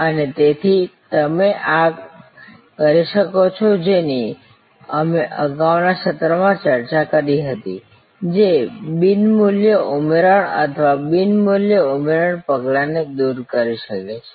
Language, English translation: Gujarati, And therefore, you can do this that we had discussed in an earlier session; that is removing the non value added or non value adding steps